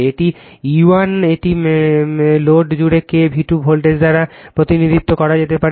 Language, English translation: Bengali, This is your E 1 it can be represent by K V 2 voltage across the load